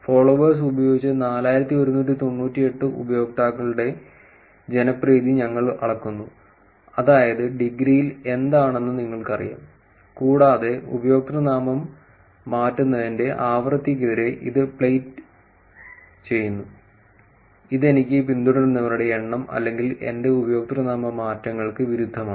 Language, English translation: Malayalam, We measure popularity of 4,198 users using followers, that is in degree you know what in degree is, and plot it against a frequency of username change which is number of followers that I have versus the number of times or my username changes